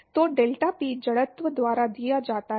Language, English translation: Hindi, So, deltaPy is given by the inertial